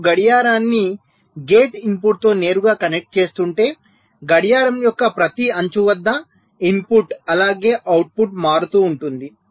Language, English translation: Telugu, now, if you are directly connecting the clock with the gate input, so the input as well as the output will be changing at every edge of the clock